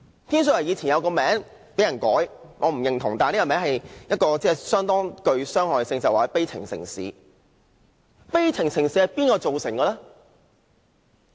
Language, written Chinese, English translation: Cantonese, 天水圍曾有一個別稱，一個我不認同但甚具傷害的名字，便是悲情城市。, Tin Shui Wai was once also known as a town of sadness a name which I consider inappropriate and hurtful